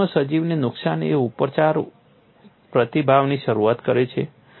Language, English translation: Gujarati, In nature, damage to an organism initiates a healing response